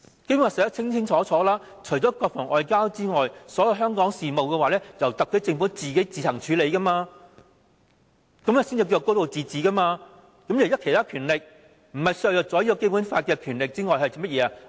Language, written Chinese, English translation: Cantonese, 《基本法》清楚訂明，除國防和外交外，所有香港事務也由特區政府自行處理，這才是"高度自治"，行使其他權力不是削弱《基本法》又是甚麼？, The Basic Law clearly states that save for defence and foreign affairs the SAR Government shall administer on its own all affairs relating to Hong Kong . Only through the implementation of this provision can the city enjoy a high degree of autonomy